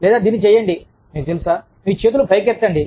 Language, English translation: Telugu, Or, just do this, you know, raise your arms